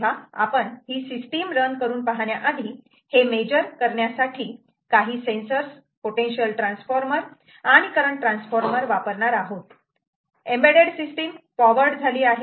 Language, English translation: Marathi, so, ah, before we get into running the ah system itself, in order to measure, we using the sensors, like potential transformers and ah current transformers, the embedded system is be powered right